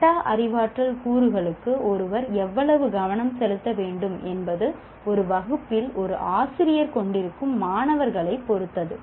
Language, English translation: Tamil, And again, how much attention one needs to pay to metacognitive elements will depend on the kind of learners that a teacher has in the class